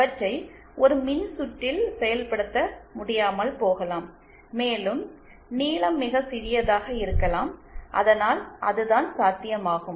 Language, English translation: Tamil, It might not be possible to implement them in a circuit and also the lengths might be too small then that what is feasible